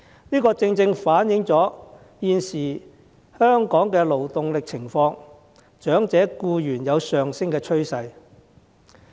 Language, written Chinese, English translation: Cantonese, 這正正反映香港現時的勞動力情況，長者僱員有上升的趨勢。, This precisely reflects the current situation of the labour force in Hong Kong where the number of elderly employees is on the rise